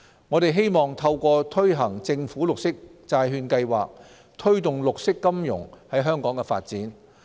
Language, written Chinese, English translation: Cantonese, 我們希望透過推行政府綠色債券計劃，推動綠色金融在香港的發展。, The primary objective of the Programme is to promote the development of green finance in Hong Kong